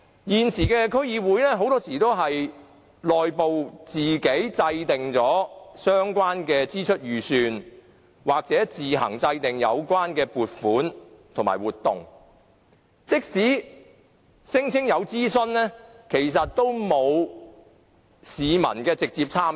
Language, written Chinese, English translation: Cantonese, 現時區議會很多時候會在內部自行制訂相關的支出預算、撥款和活動，即使聲稱有諮詢，其實亦沒有市民的直接參與。, Now DCs often draw up the relevant estimates of expenditures funding and programmes internally on their own . Even though they claim that consultation has been carried out actually there is no direct public participation